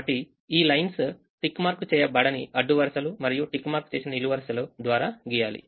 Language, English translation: Telugu, so draw a lines through unticked rows and ticked columns